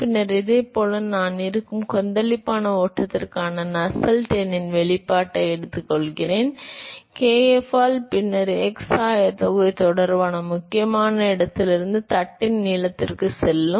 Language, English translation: Tamil, And then similarly I take the expression of Nusselts number for turbulent flow that will be; by kf and then you integrate that with respect to x coordinate going from the critical location to the length of the plate